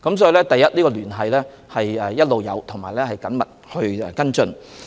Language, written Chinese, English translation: Cantonese, 所以，第一，我們一直有聯繫，亦有緊密跟進。, In other words firstly we have all along been in touch and closely following up on the situation